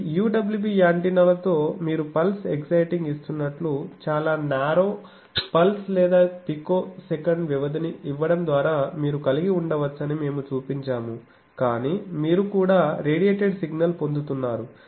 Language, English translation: Telugu, So, with this UWB antennas we have shown that you can have by giving the picture that you are giving a pulse excitation very narrow pulse is or picosecond duration, but you are also getting the radiated signal is also like that